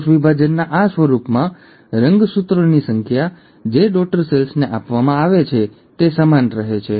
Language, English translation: Gujarati, In this form of cell division, the number of chromosomes which are passed on to the daughter cells remain the same